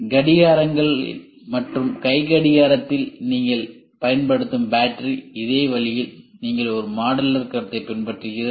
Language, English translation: Tamil, Same way the battery what you use in clocks what you use in watch they follow a modular concept